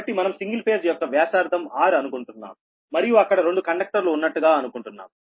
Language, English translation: Telugu, so we are assuming that single phase line having their radius r, r, right, and there are two conductors